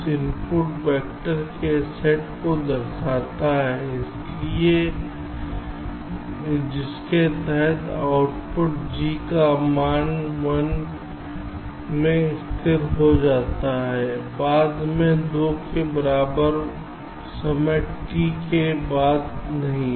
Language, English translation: Hindi, this denotes the set of input vectors under which the output, g gets stable to a value one no later than time, t equal to two